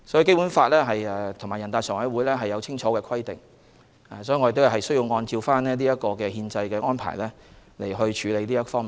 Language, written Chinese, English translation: Cantonese, 《基本法》和全國人大常委會對此有清晰的規定，我們需要按憲制安排去處理。, Given the clear provisions made in the Basic Law and by NPCSC we must deal with such an issue in accordance with the constitutional arrangement